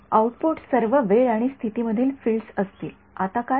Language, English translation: Marathi, Output will be fields that all times and in positions now what